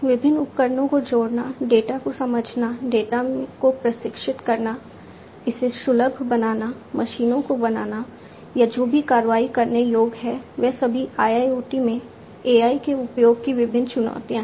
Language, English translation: Hindi, Connecting different devices, understanding the data, training the data, making it accessible, making the machines or whatever actionable these are all different challenges of use of AI in IIoT